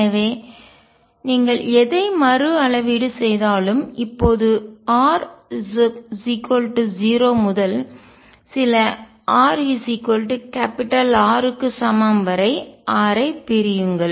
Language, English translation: Tamil, So, appropriately whatever rescale you do, now divide r equal to 0 to some r equals R, where R is sufficiently large